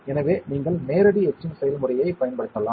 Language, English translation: Tamil, So, you can use direct etching process